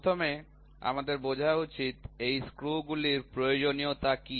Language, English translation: Bengali, First we should understand, what is the necessity for these screws